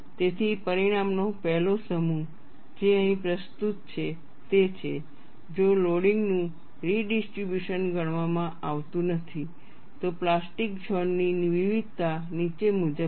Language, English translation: Gujarati, So, the 1st set of result, what is presented here is if no redistribution of loading is considered, the variation of plastic zone is as follows